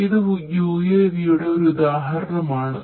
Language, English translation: Malayalam, So, this is an example of an UAV and this is an example of a UAV